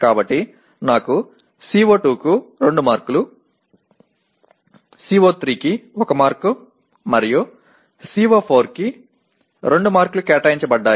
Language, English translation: Telugu, So I have 2 marks assigned to CO2, 1 mark assigned to CO3 and 2 marks assigned to CO4